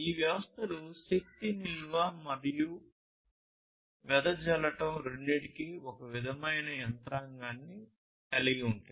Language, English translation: Telugu, And these systems will have some kind of mechanism for energy storage and dissipation both, right